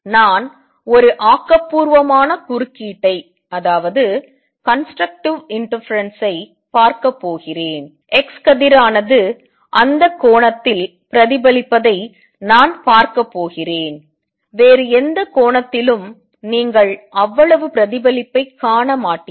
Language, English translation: Tamil, I am going to see a constructive interference and I am going to see x ray is reflected at that angle, at any other angel you will not see that much of reflection